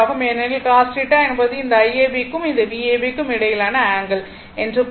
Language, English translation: Tamil, Because, cos theta means angle between your this I ab and this your V ab